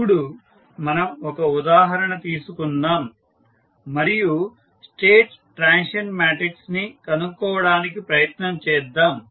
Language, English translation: Telugu, Now, let us take an example and try to find out the state transition matrix first